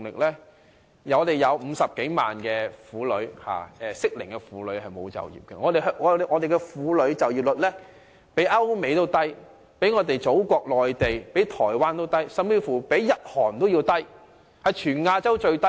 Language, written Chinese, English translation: Cantonese, 香港有50多萬名適齡婦女沒有就業，婦女就業率比歐美、內地和台灣都要低，甚至比日韓還低，是全亞洲最低。, More than half a million women of the right age in Hong Kong are unemployed . Hong Kongs woman employment rate is lower than those of Europe the United States the Mainland and Taiwan . It is the lowest in Asia even lower than those of Japan and South Korea